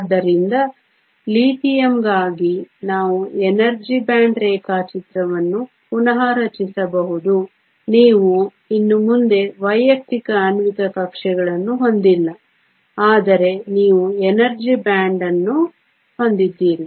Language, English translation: Kannada, So, we can redraw the energy band diagram for Lithium taking into fact that you no longer have individual molecular orbitals but you have an energy band